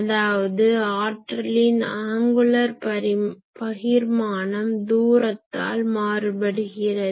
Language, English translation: Tamil, So, angular distribution of power is changing with distance